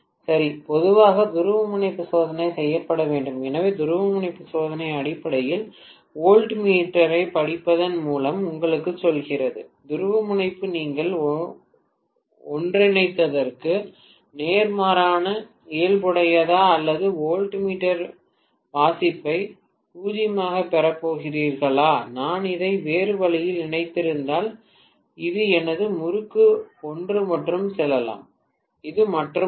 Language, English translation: Tamil, Okay So, generally polarity testing has to be done, so the polarity testing essentially tells you by looking at the voltmeter reading whether the polarity is of opposite nature what you have tied together or if you are going to get the voltmeter reading to be 0, if I had connected it the other way around, let us say this is one of my winding, this is the other winding